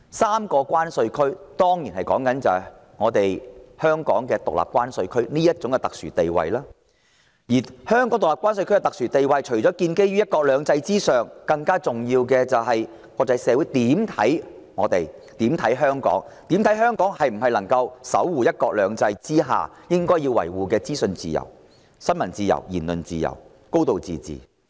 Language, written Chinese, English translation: Cantonese, 三個關稅區之一當然是指香港獨立關稅區這種特殊地位，而香港獨立關稅區的特殊地位除了建基於"一國兩制"之上，更重要的是國際社會對香港的看法——究竟香港能否守護"一國兩制"下應當維護的資訊自由、新聞自由、言論自由及"高度自治"。, One of these three separate customs territories obviously refers to Hong Kongs special status as a separate customs territory . And Hong Kongs special status as a separate customs territory is based not just on one country two systems but more importantly on the way in which the international community views Hong Kong―can Hong Kong safeguard the principles that should be safeguarded under one country two systems namely freedom of information freedom of the press freedom of speech and a high degree of autonomy?